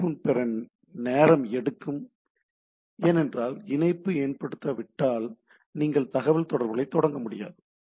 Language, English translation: Tamil, So establishment phase takes time to have connectivity, because unless the connection is establish you cannot start communication